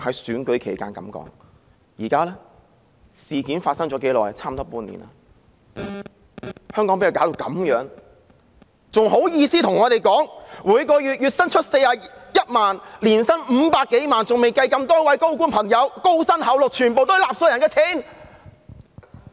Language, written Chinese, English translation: Cantonese, 事件發生了差不多半年，香港被她弄成這樣子，她還好意思賺取月薪41萬元、年薪500多萬元，還未計多位高官高薪厚祿，全是納稅人的錢。, It has been almost half a year since the outbreak of the incident and Hong Kong has spiralled into such a state thanks to her and she still got the nerve to pocket 410,000 a month or more than 5 million a year . I have not yet counted the handsome remunerations given to high - ranking government officials which are all footed by taxpayers money